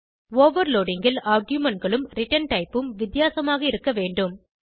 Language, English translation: Tamil, In overloading the arguments and the return type must differ